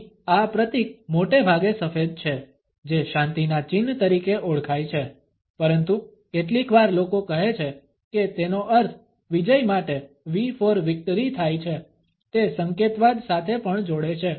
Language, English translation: Gujarati, This symbol here is mostly white known as the peace sign, but sometimes people say it means V for victory; also it does connect to signism